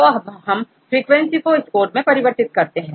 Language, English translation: Hindi, Now we convert these frequencies into score